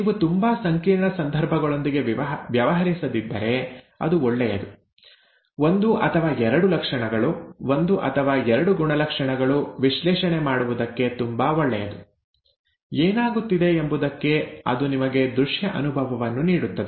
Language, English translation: Kannada, It's rather nice if you are not dealing with very complex situations; one or two traits, one or two characters it is quite good to do, it gives you a visual feel for what is happening, okay